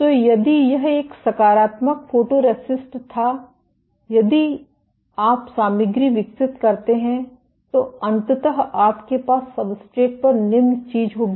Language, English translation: Hindi, So, if this was a positive photoresist, if you develop the material then eventually you will have the following thing on the substrate